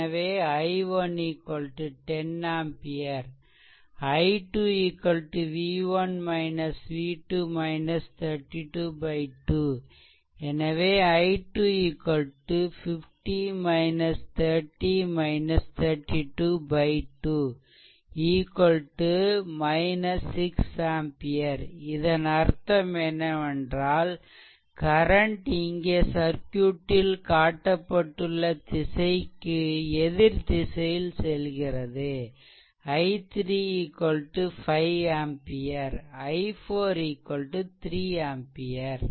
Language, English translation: Tamil, So, we solve i 1 10 ampere, i 2 v 1 minus v 2 minus 32 by 2 so, it is i 2 is equal to minus 6 ampere; that means, current is actually flowing in other direction whatever direction shown in the circuit, it is shown in the other direction then i 3 is equal to 5 ampere and i 4 is equal to 3 ampere right